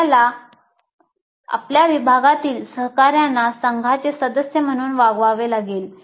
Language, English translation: Marathi, And you have to treat your department colleagues as members of a team